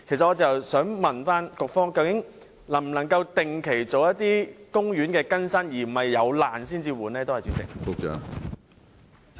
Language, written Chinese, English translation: Cantonese, 我想問，究竟當局能否定期更新公園的設施，而非要待設施出現破爛始更換呢？, I want to ask if the authorities can replace the facilities in parks on a regular basis instead of replacing them only when they are damaged